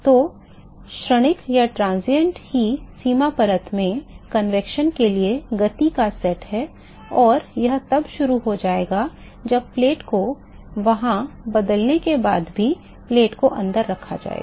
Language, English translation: Hindi, So, the transient itself is set of the motion for convection in the boundary layer and that will continue as soon as the plate is still placed inside after the plate is replaced there